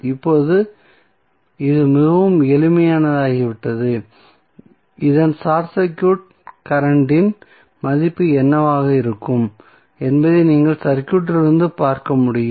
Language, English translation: Tamil, Now, it has become very simple which you can see simply from the circuit itself that what would be the value of short circuit current